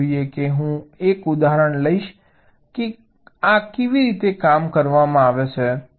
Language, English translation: Gujarati, let see i will take an example how these are worked out